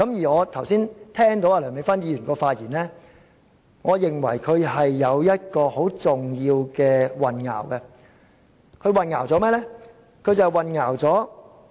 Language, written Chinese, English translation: Cantonese, 我剛才聽到梁美芬議員的發言，我認為她混淆了很重要的一點，她混淆了甚麼？, Just now I listened to Dr Priscilla LEUNGs speech . I think she has misread a very important point . What has she misread?